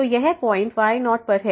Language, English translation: Hindi, So, this will go to 0